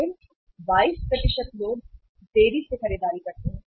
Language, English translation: Hindi, Then 22% people delay purchase